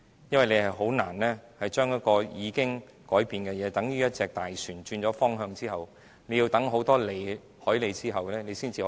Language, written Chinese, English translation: Cantonese, 因為政府是難以將已改變的事實再更正，等於一艘大船轉了方向後，要駛過很多海哩後才能修正。, The Government cannot possibly alter the system for a second time . If a large vessel has changed course it takes many nautical miles of travel before it can switch back on track